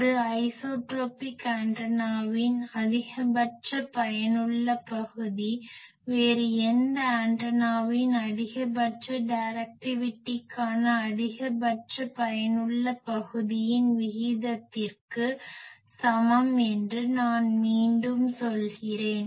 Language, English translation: Tamil, I repeat the maximum effective area of an isotropic antenna is equal to the ratio of the maximum effective area to maximum directivity of any other antenna